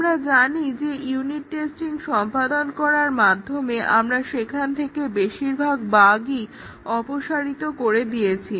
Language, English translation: Bengali, We know that by doing unit testing, we have eliminated most of the bugs there